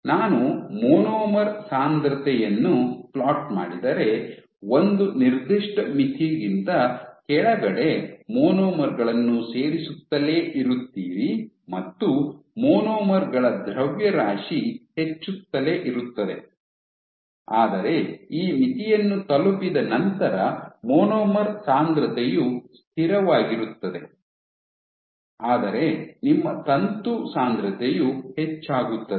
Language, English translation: Kannada, So, below a certain threshold below you will have if you keep on adding monomers your mass of the monomers will keep increasing, but once this threshold is cost your monomer concentration will remain constant, but your filament concentration will increase